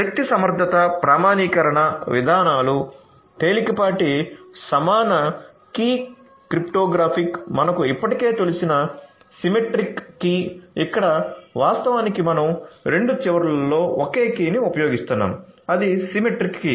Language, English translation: Telugu, Energy efficient authentication mechanisms, lightweight symmetric key cryptography symmetric key as you probably already know, here actually we are talking about you know the same key being used at both the ends right, so the symmetric key